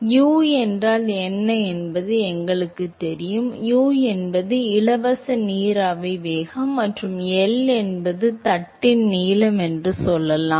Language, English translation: Tamil, We know what U is; U is the free steam velocity and L let say it is the length of the plate